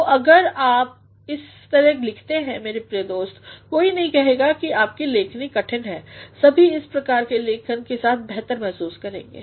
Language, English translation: Hindi, So, if you write like this, my dear friend, nobody will say that your writing is difficult everyone will feel better with this sort of writing